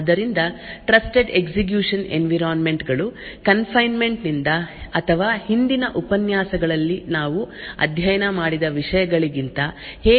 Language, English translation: Kannada, So, we will start off with how Trusted Execution Environment is different from confinement or the topics that we have studied in the previous lectures